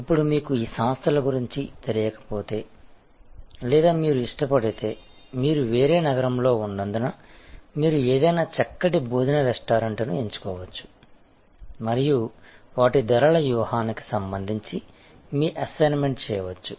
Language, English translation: Telugu, Now, if you are not familiar with these organizations or you prefer, because you are located in a different city, you can choose any fine dining sort of restaurant and do your assignment with respect to their pricing strategy